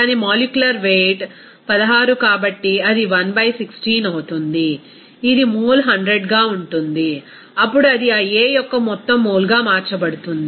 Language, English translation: Telugu, Since its molecular weight is 16, so it will be 1 by 16, this is mole into 100, then it will be converted into total mole of that A